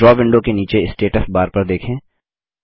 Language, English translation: Hindi, Look at the Status bar, at the bottom of the Draw window